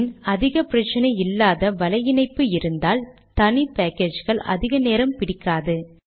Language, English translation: Tamil, After that if you have reasonable network individual packages should not take too much time